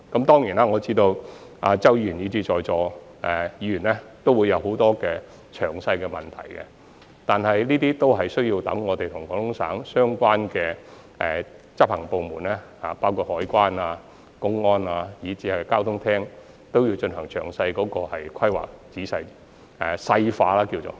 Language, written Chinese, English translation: Cantonese, 當然，我知道周議員以至在座各位議員都會有很多關於計劃細節的問題，但這些均有待我們與廣東省的相關執行部門，包括海關、公安以至交通廳進行詳細的規劃，即是所謂的"細化"。, Of course I am aware that Mr CHOW as well as other Honourable Members present in this Chamber will have a lot of questions about the details of the Scheme . Yet we have to work out the detailed planning on all these issues―a process which is also known as refinement―with the relevant executive departments of Guangdong Province including the Customs the Public Security Department and even the Department of Transportation